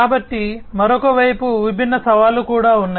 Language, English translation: Telugu, So, on the other side, there are different challenges also